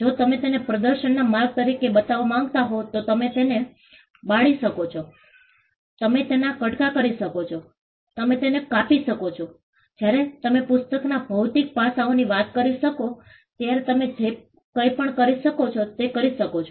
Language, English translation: Gujarati, If you want to show it as a way of demonstration you can burn it, you can tear it apart, you can shred it, you could do anything that is possibly you can do when it comes to the physical aspects of the book